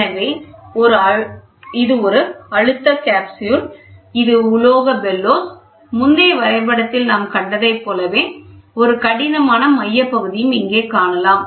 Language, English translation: Tamil, So, this is a pressure capsule, this is metallic bellow so, you can see here a rigid centerpiece what we saw in the previous diagram we have it here